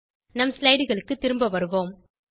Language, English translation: Tamil, Let us move back to our slides